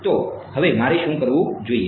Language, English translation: Gujarati, So, now, what should I do